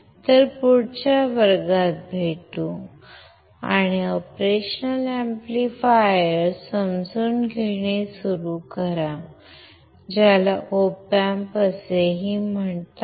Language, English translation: Marathi, So, I will see you in the next class, and we will start understanding the operational amplifiers, which is also call the Op Amps